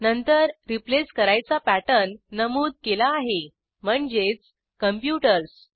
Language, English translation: Marathi, Then we mention the pattern to be replaced which is computers